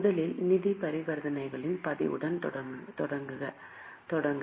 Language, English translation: Tamil, Okay, to first begin with the recording of financial transactions